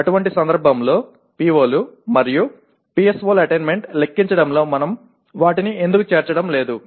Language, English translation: Telugu, In such a case why are we not including them in computing the attainment of POs and PSOs